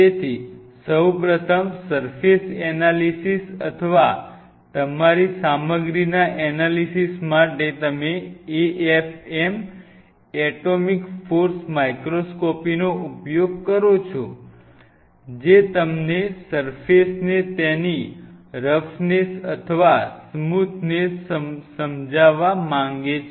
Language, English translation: Gujarati, So, first for surface analysis or analysis of your material you use a f m, atomic force microscopy that will kind of give you the roughness or smoothness of the surface whichever way you want to explain it